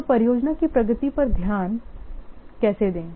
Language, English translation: Hindi, So, how to work to focus on the progress of the project